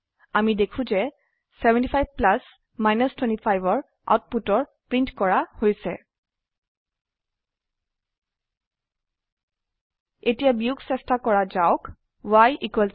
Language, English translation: Assamese, we see that the output of 75 plus 25 has been printed Now let us try subtraction